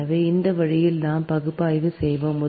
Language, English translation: Tamil, so this way we will analyse